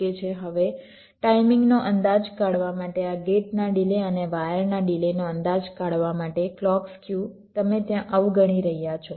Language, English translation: Gujarati, ok, now to estimate the timing, to estimate this gate delays and wire delays clock skew you are ignoring for time being